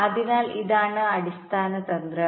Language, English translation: Malayalam, right, so this is the basic strategy